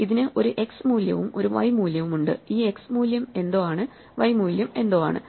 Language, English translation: Malayalam, It has an x value and a y value, and this x value is something and the y value is something